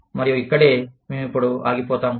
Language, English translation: Telugu, And, this is where, we will stop, now